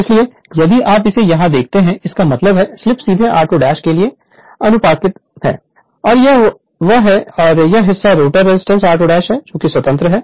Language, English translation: Hindi, So, if you look it here; that means, the slip is directly proportional to r 2 dash right we and this is this and this part is independent of the rotor resistance r 2 dash right